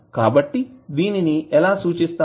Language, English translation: Telugu, So, how you will represent them